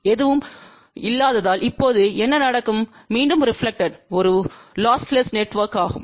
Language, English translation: Tamil, What will happen now since nothing is reflected back and this is a lossless network